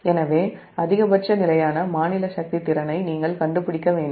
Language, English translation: Tamil, so you have to find out the maximum steady state power capability